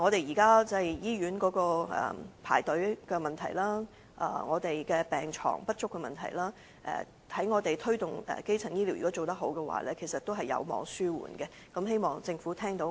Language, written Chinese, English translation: Cantonese, 如果能有效推動基層醫療，現時醫院的輪候時間問題、病床不足的問題，其實均有望紓緩，希望政府能聽取我們的建議。, The effective implementation of primary health care can help relieve the problems of long hospital waiting time and insufficient hospital beds . I hope that the Government will heed our advice